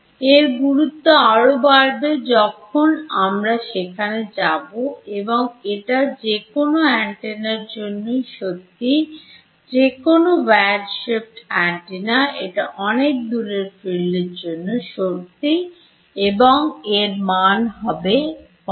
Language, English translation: Bengali, This will be important as we go here and this is true for any antenna any weird shaped antenna go far away from it the fields are going for fall of has 1 by r